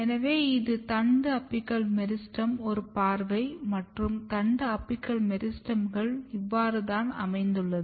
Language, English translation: Tamil, So, this is a view of shoot apical meristem and this is how shoot apical meristems are organized